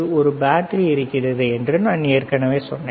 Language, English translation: Tamil, I told you there is a there is a battery, right